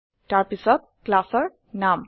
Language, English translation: Assamese, It is followed by the name of the class